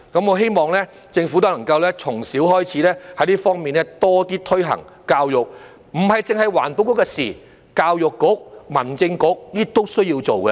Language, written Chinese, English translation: Cantonese, 我希望政府都能夠從小開始，在這方面多一點推行教育，這不只是環境局的事情，教育局、民政事務局都需要做。, I hope the Government will step up its education efforts in this area and start the teaching from an early age . This is not merely the task of the Environment Bureau ENB as the Education Bureau EDB and the Home Affairs Bureau HAB also have their part to play